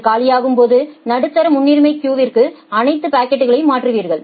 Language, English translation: Tamil, When it becomes empty you come to the medium priority queue transfer all the packets